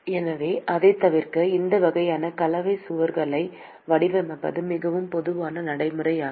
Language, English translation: Tamil, So, in order to avoid that, it is a very common practice to design these kinds of composite walls